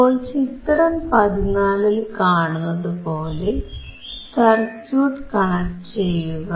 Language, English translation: Malayalam, So, connect this circuit as shown in figure 14